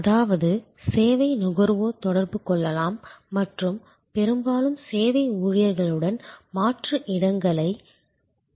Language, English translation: Tamil, That means, service consumers can interact and can often actually alternate places with the service employees